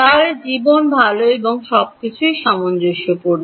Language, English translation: Bengali, Then life is good and everything is consistent